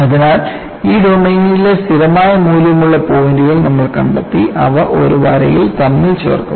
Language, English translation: Malayalam, So, you find out points in this domain which has a constant value and join them together by a line